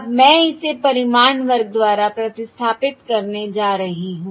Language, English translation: Hindi, Now Im going to replace this by the magnitude square